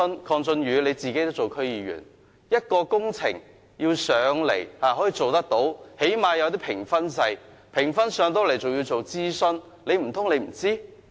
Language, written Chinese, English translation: Cantonese, 鄺俊宇議員，你也是區議員，一項工程要提交立法會，最低限度要有評分制，即使評分過關，還要進行諮詢，難道你不知道？, Mr KWONG Chun - yu you are an DC member too . A project should at least be subject to a points system before being submitted to the Legislative Council . Even if it is cleared under the system consultation has to be carried out